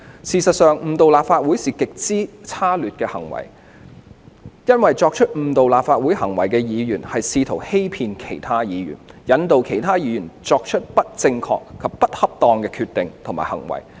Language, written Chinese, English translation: Cantonese, 事實上，誤導立法會是極之差劣的行為，因為作出誤導立法會行為的議員是試圖欺騙其他議員，引導其他議員作出不正確或不恰當的決定及/或行為。, As a matter of fact misleading the House is an act of serious misconduct because a Member committing certain acts to mislead the House is actually trying to deceive other Members leading them to make andor take incorrect or inappropriate decisions andor actions